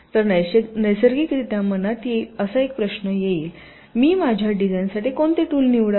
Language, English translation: Marathi, so one question that naturally would come into mind: which tool should i choose for my design